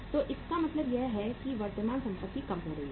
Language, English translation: Hindi, So it means current assets are being decreased